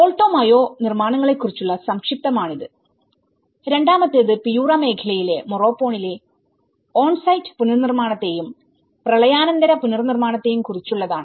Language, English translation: Malayalam, So that is the brief about the Alto Mayo constructions and the second one is about the on site reconstruction, post flooding reconstruction Morropon in Piura region